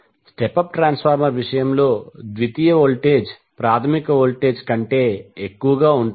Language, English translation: Telugu, Whereas in case of step up transformer the secondary voltage is greater than its primary voltage